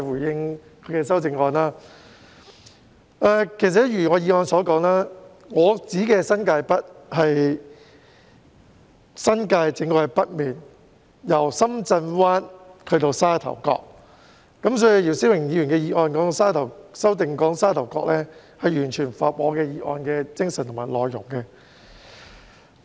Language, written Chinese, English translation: Cantonese, 正如我在原議案中所說，我說的新界北是指新界正北面，由深圳灣至沙頭角，所以姚思榮議員的修正案提到沙頭角，與我的議案的精神和內容完全相符。, As I state in the original motion what I mean by New Territories North is precisely the northern New Territories from Shenzhen Bay to Sha Tau Kok . Therefore the amendment proposed by Mr YIU Si - wing which touches upon Sha Tau Kok is entirely consistent with my motion in terms of spirit and content